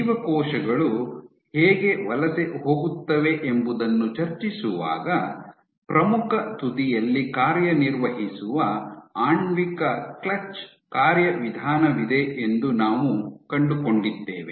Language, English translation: Kannada, And while discussing how cells migrate, we had found out that you have a Molecular clutch which molecular clutch mechanism which operates at the leading edge